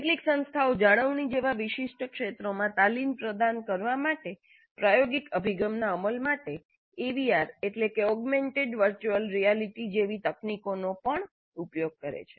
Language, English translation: Gujarati, And some institutes are using technologies like even AVR augmented virtual reality to implement experiential approach to provide training in specific areas like maintenance